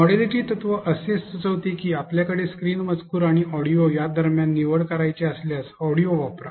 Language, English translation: Marathi, Modality principle recommends that if you have a choice between on screen text and audio, use audio